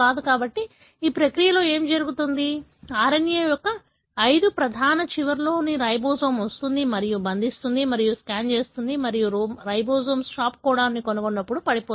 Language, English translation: Telugu, So, in this process what happens, the ribosome comes and binds, of course at the 5 prime end of the RNA and scans through and the ribosome is going to fall off as and when it finds a stop codon